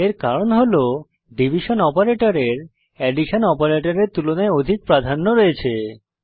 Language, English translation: Bengali, This is because the division operator has more precedence than the addition operator